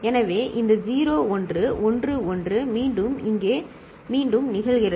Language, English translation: Tamil, So, this 0 1 1 1 again repeats here